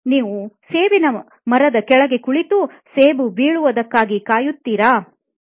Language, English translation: Kannada, Do you sit under an apple tree and the apple fell